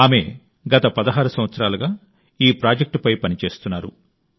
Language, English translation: Telugu, She has been working on this project for the last 16 years